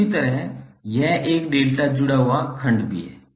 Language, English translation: Hindi, And similarly, this also is a delta connected section